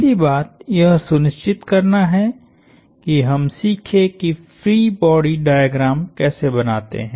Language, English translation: Hindi, The first thing to do is to make sure we learn how to draw free body diagrams